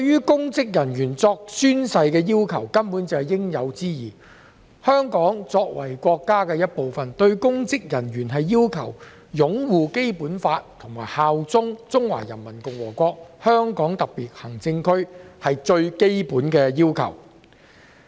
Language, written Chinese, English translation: Cantonese, 公職人員宣誓根本是應有之義。香港作為國家的一部分，要求公職人員擁護《基本法》和效忠中華人民共和國香港特別行政區，是最基本的要求。, Taking oath is indeed an obligation of public officers and it is simply fundamental for Hong Kong being part of China to request its public officers to uphold the Basic Law and bear allegiance to the Hong Kong Special Administrative Region of the Peoples Republic of China